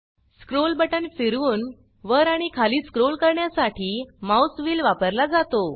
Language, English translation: Marathi, The mouse wheel is used to scroll up and down, by rolling the scroll button